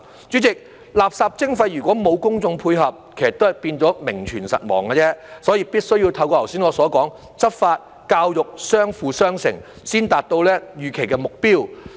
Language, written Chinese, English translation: Cantonese, 主席，垃圾徵費如果沒有公眾配合，其實都是變成名存實亡而已，所以必須要透過我剛才所說的執法、教育相輔相成，才能達到預期的目標。, President without the cooperation of the public waste charging will only exist in name . As such enforcement and education should go hand in hand as I have mentioned earlier in order to achieve the desired goal